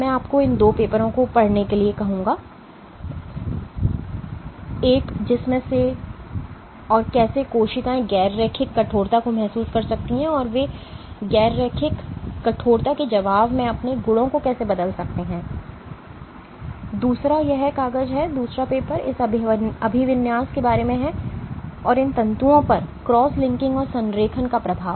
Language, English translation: Hindi, I would ask you to read these two papers one on which and how cells can sense non linear stiffness and how they change their properties in response to non linear stiffness and the other one this paper, the other paper is about this orientation and effect of cross linking and alignment on these fibers